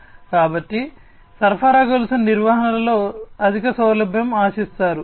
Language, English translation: Telugu, Next comes supply chain management and optimization